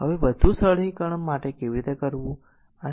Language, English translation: Gujarati, Now for further simplification how will do